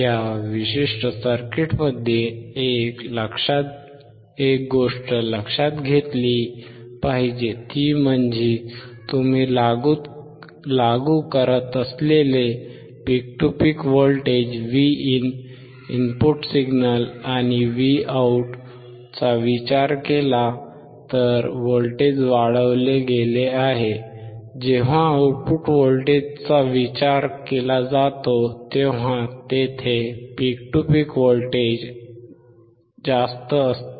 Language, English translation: Marathi, One thing that we have to notice in this particular circuit is that the input signal that you are applying if you consider the voltage peak to peak voltage Vin and Vout, the voltage has been amplified; peak to peak voltage is higher when it comes to the output voltage